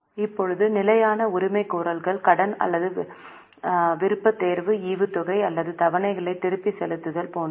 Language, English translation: Tamil, Now the fixed claims are like interest on loan or preference dividend or the repayment of installments